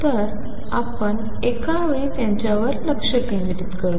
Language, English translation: Marathi, So, let us focus them on at a time